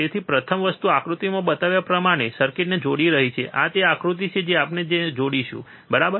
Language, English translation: Gujarati, So, first thing is connect the circuit as shown in figure, this is the figure we will connect it, right